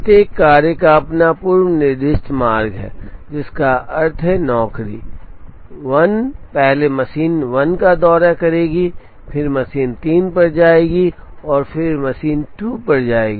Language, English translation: Hindi, Each job has it is own pre specified route, which means, job 1 will first will visit machine 1, then visit machine 3, and then visit machine 2